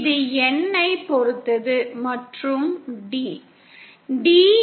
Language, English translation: Tamil, It depends on N and the value of D